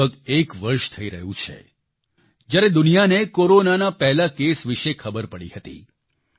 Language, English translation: Gujarati, It has been roughly one year since the world came to know of the first case of Corona